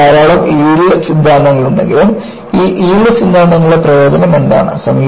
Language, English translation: Malayalam, Though, you had many yield theories, what is the advantage of these yield theories